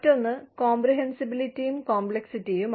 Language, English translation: Malayalam, The other is, comprehensibility versus complexity